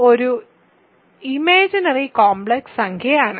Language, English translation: Malayalam, So, i is an imaginary complex number